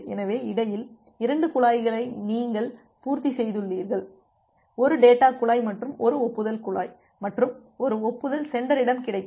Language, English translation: Tamil, So, you have filled up the 2 pipes which are there in between and so, one data pipe and one acknowledgement pipe and one acknowledgement has just received at the sender